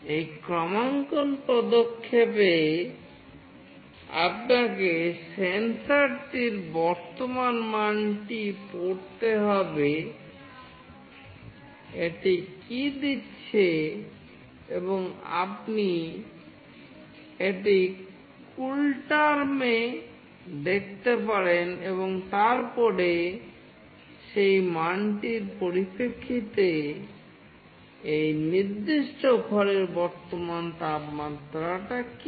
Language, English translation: Bengali, In this calibration step, you need to read the current value of the sensor, what it is giving and you can see that in CoolTerm and then with respect to that value, what is the current temperature of this particular room